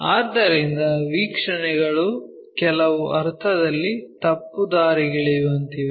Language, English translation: Kannada, So, the views are in some sense misleading